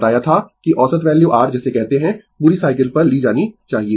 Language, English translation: Hindi, I told you that average value your what you call must be taken over the whole cycle